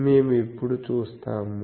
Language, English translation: Telugu, That we will now see